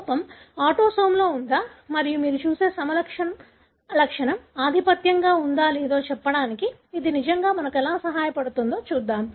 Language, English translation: Telugu, Let’s see how does it really help us to tell whether, the defect is on a autosome and the phenotype that you see is dominant